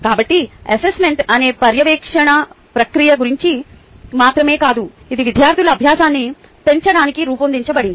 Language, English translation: Telugu, so assessment is not about just ah monitoring process, but its designed to increase students learning